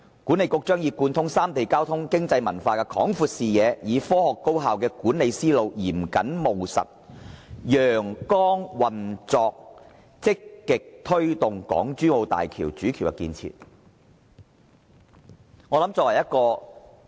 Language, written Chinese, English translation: Cantonese, 管理局將以貫通三地交通、經濟、文化的廣闊視野，以科學高效的管理思路，嚴謹務實、陽光運作積極推動港珠澳大橋主橋的建設。, The Authority will start from the broad view of the transport economy and culture in the three regions and adopt a scientific and effective managerial method to promote the construction of HZMB through transparent operation and in a pragmatic and precise way . The Hong Kong Government is also one of the three partners in the construction of HZMB